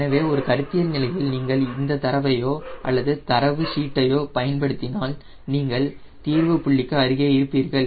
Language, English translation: Tamil, so at a conceptual stage, if you use those data or though data sheet, you are near the solution point